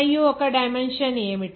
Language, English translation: Telugu, What is the dimension of miu